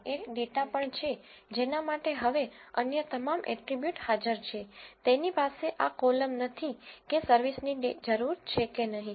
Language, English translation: Gujarati, And he also has a data for which now all the other attributes are present, he do not have this column where whether the service is needed or not